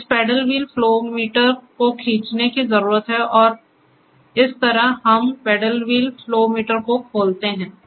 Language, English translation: Hindi, So, this paddle wheel flow meter needs to be a pull and so, this is how we open the paddle wheel flow meter